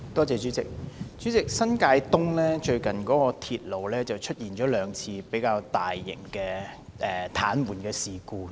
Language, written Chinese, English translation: Cantonese, 主席，新界東鐵路系統最近曾出現兩次較大型的癱瘓事故。, President railway operations in New Territories East were twice paralyzed recently on a relatively major scale